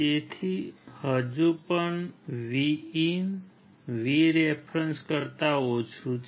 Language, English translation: Gujarati, So, still VIN is less than VREF